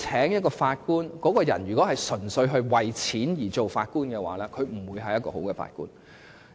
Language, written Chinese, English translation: Cantonese, 如果某人純粹為了金錢而當法官，他也不會是一位好法官。, If a person becomes a judge purely for money he will not be a good judge